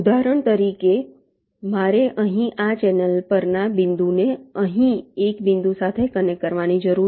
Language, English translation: Gujarati, for example, i need to connect ah point here on this channel to a point here